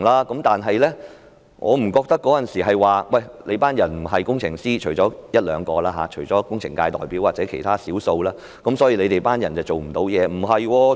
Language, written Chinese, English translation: Cantonese, 可是，我不認為當時由於我們不是工程師——除了一兩位工程界代表或其他少數議員外——我們便做不了甚麼。, But I do not think that we could not do much because we are not engineers except for one or two representatives of the engineering sector or a few other Members